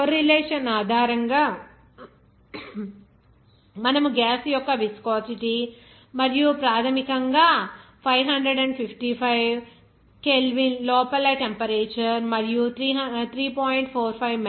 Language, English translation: Telugu, Based on this correlation, you can calculate what should be the viscosity of the gas and basically the temperature within 555 K and the pressure at below 3